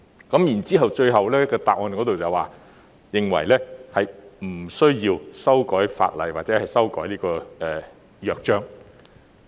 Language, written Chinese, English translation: Cantonese, 主體答覆最後更提到，他們認為並無需要修改法例或修改《約章》。, In the ending part of the main reply it is even stated that they did not consider it necessary to make changes to the existing legislation or the Charter